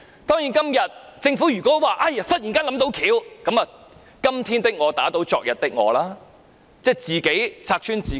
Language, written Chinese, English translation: Cantonese, 當然，如果政府忽然說想到解決方法，就是"今天的我打倒昨天的我"，即自己拆穿自己。, Of course if the Government suddenly says that it has found a solution this implies that it has gone back on its words or it has exposed its lies